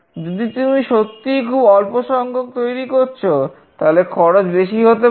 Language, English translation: Bengali, If you are really manufacturing a very small number of units, then the cost might be large